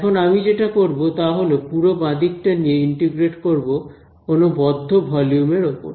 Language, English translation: Bengali, Now what I am going to do is I am going to take this whole left hand side and integrat it over some closed volume ok